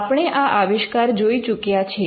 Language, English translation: Gujarati, Again, we had seen this invention